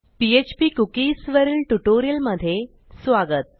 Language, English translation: Marathi, Welcome to this tutorial on php cookies